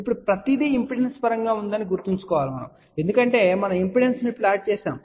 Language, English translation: Telugu, Now, remember everything is in terms of impedance right now ok because we are plotted impedance